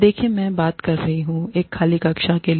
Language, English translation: Hindi, See, I am talking to an empty classroom